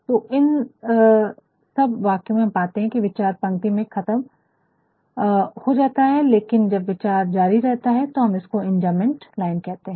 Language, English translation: Hindi, So, in all these sentences we find, that the thought gets completed in the line, fine in the end of the line , but when the thought continues, then we then we call it in Enjambment line